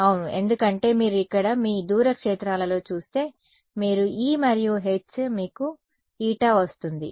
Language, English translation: Telugu, Yeah, if you look over here in your far fields over here if you take the ratio of E and H you get what eta right